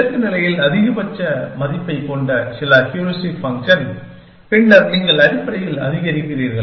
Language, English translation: Tamil, That some heuristic function, which has the maximum value at the goal state, then you are maximizing essentially